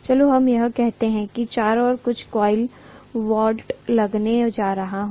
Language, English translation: Hindi, Let us say I am going to have some coil wound around here